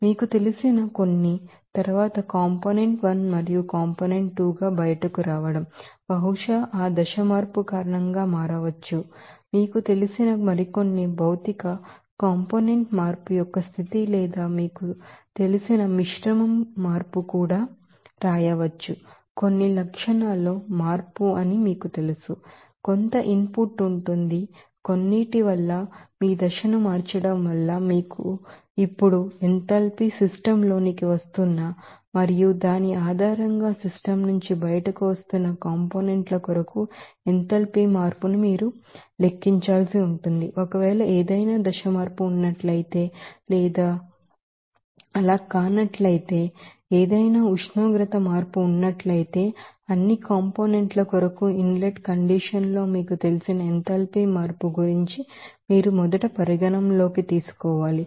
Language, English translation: Telugu, So, there will be some input, there will be some output for that components, because of some, you know, that change your phase, you know, enthalpy now, you have to calculate that enthalpy change for those components which are coming into the system and which are coming out from the system based on that, if is there any temperature change if is there any phase change or not so, far that you have to first consider what will be the you know enthalpy change because of its formation you know in the inlet condition for all components